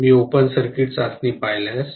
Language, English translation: Marathi, If I look at the open circuit test